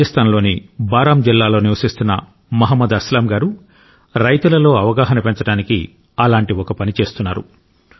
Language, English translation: Telugu, Mohammad Aslam ji from Baran district in Rajasthan is working in a similar fashion to increase awareness among farmers